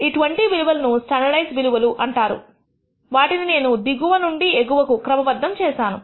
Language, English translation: Telugu, The 20 values as these are called the standardized values I have sorted them from the lowest to highest